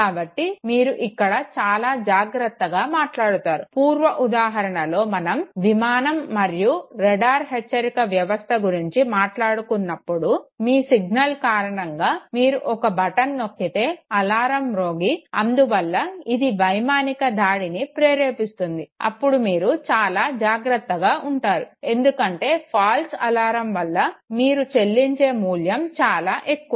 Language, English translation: Telugu, So you walk with extreme degree of caution okay, the previous example of the aircraft and the radar warning system that we were taking, if your signal by default know you press a button raising an alarm and in turns it no triggers airstrike okay, you would be very, very cautious okay, because false alarm the price that you pay for it is very high